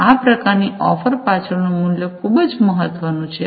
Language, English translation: Gujarati, And the value behind this kind of offering, this is very important